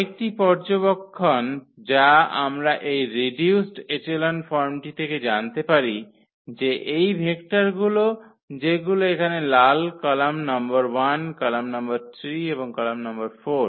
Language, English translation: Bengali, Another observation which we can find out from the from that reduced echelon form that these vectors with red here the column number 1, column number 3 and column number 4